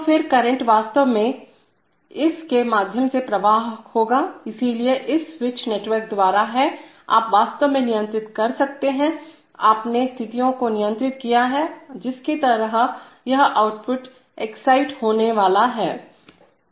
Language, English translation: Hindi, So then the current will actually flow through this, so it is therefore by this switch network, you can actually control, you have controlled the situations, under which this output is going to be excited